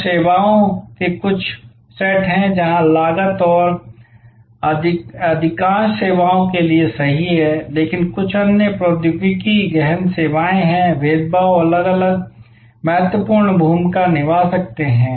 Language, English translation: Hindi, So, there are certain sets of services, where cost and this is true for most services, but there are certain other technology intensive services, were differentiation can play an important part